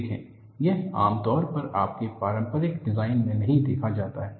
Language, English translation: Hindi, See, this is not commonly seen in you, your conventional design